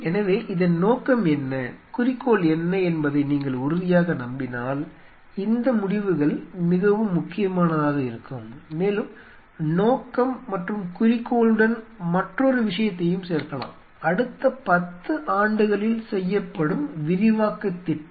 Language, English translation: Tamil, So, these decisions are very critical provided you are very sure what is the purpose and what is the objective and adding to the purpose and the objective is there is another thing which comes is plan for expansion in next 10 years